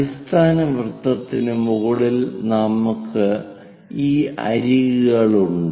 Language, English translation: Malayalam, So, this is that base circle, above base circle, we have these flanks